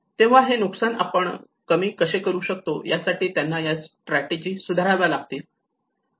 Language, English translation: Marathi, So they need to improve these strategies how we can reduce these losses